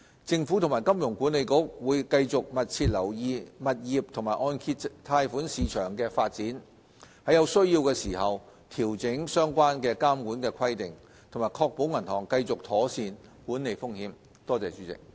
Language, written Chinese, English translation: Cantonese, 政府和金管局會繼續密切留意物業和按揭貸款市場的發展，在有需要時調整相關監管規定，確保銀行繼續妥善管理風險。, The Government and HKMA will continue to monitor the property and mortgage markets closely and will adjust the relevant supervisory measures as and when necessary to ensure that banks are managing their risk properly